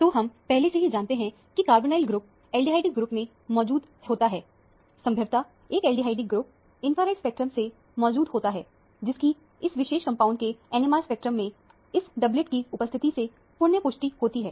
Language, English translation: Hindi, So, we already know carbonyl group is present and aldehydic group – probably an aldehydic group is present from the infrared spectrum, that is, reaffirmed by the presence of this doublet in the NMR spectrum of this particular compound